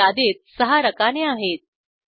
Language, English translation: Marathi, There are six columns in this list